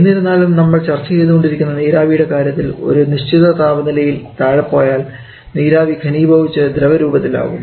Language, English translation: Malayalam, However the water vapour that you are talking about that once we go below certain temperature that water vapour is start to condense and form liquid water